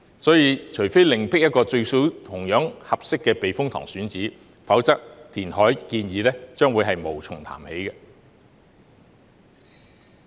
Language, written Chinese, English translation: Cantonese, 所以，除非另覓一個同樣合適的避風塘選址，否則填海建議將會無從談起。, Therefore unless an equally suitable site for the typhoon shelter is identified the reclamation proposal can start nowhere